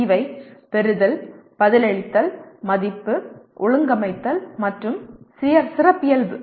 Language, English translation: Tamil, And these are receive, respond, value, organize, and characterize